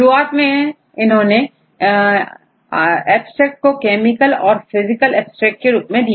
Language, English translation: Hindi, In the earlier days because they started to have this some abstracts like chemical abstracts the physical abstracts right